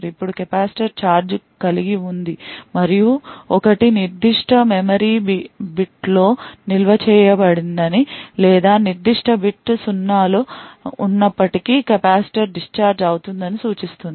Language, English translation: Telugu, Now the capacitor holds charge and to indicate that a 1 is stored in that particular memory bit or a capacitor discharges when a 0 is present in that particular bit